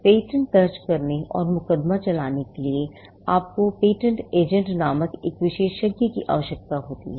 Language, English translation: Hindi, For filing and prosecuting patents, you need a specialist called the patent agent